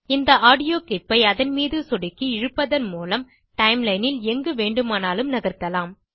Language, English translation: Tamil, You can move the audio clip to any location by clicking on it and sliding it on the timeline